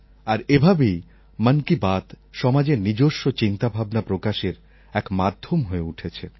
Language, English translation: Bengali, In the same way "Mann Ki Baat" became a platform to express the power of society